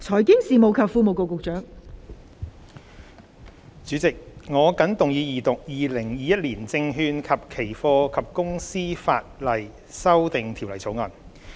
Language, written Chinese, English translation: Cantonese, 代理主席，我謹動議二讀《2021年證券及期貨及公司法例條例草案》。, Deputy President I move the Second Reading of the Securities and Futures and Companies Legislation Amendment Bill 2021 the Bill